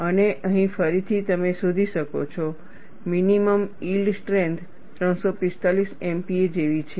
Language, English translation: Gujarati, And here again, you find the minimum yield strength is something like 345 MPa